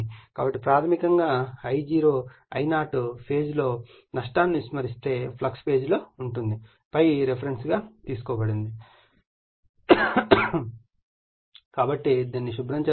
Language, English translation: Telugu, So, basically your I0 will be in phase now loss is neglected with the your in phase with your what you call is the flux ∅, ∅ is the taken as a reference right therefore, let me clear it